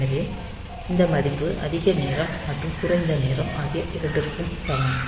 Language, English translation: Tamil, So, this value is same for both time high and time low